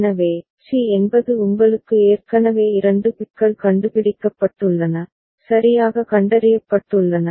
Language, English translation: Tamil, So, c means you have already got 2 bits detected, correctly detected right